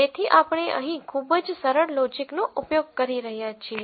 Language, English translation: Gujarati, So, we are using a very very simple logic here